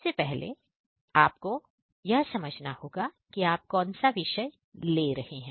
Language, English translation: Hindi, So, you need to first define which subject we are talking about